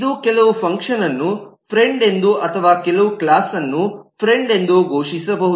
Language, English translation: Kannada, it can declare some function to be a friend or some class to be a friend